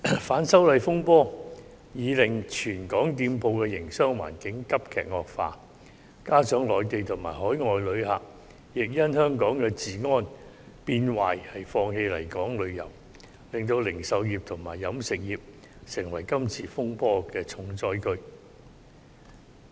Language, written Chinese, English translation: Cantonese, 反修例風波已經令全港店鋪的營商環境急劇惡化，加上內地及海外旅客亦因為香港治安變壞而放棄來港旅遊，令零售業及飲食業成為今次風波的重災區。, The business environment for all shops in Hong Kong has drastically deteriorated due to the turmoil arising from the anti - extradition bill movement . This coupled with the fact that Mainland and overseas visitors have abandoned their travel plans to Hong Kong due to the worsening public order has made the retail and catering sectors the hardest - hit industries in this turmoil